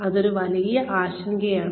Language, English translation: Malayalam, That is one big concern